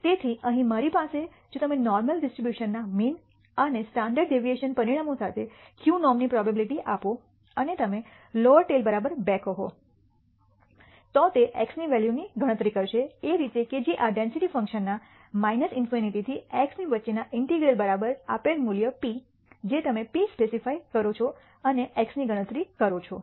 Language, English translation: Gujarati, So, here I have if you give the probability to q norm with the mean and standard deviation parameters of the normal distribution and you say the lower tail is equal to 2, then it will actually compute the value of X such that the integral between minus in nity to X of this density function is equal to the given value p you are specified p and calculating X